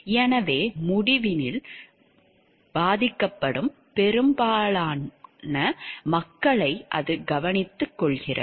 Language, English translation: Tamil, So, it takes care of the majority of the people who gets affected by the decision